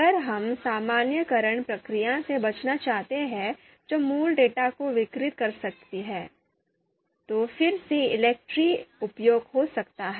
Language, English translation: Hindi, If we want to avoid the normalization process which can distort the original data, then again ELECTRE can be suitable